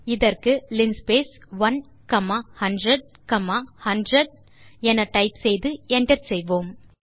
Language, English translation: Tamil, Type linspace within brackets 1 comma 100 comma 100 and hit enter